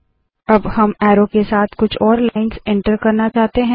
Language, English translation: Hindi, We would now want to enter some more lines with arrows